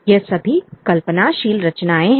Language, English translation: Hindi, These are all imaginative creations